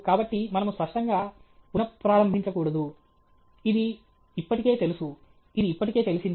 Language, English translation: Telugu, So, we should not restate the obvious; it is already known; it is already known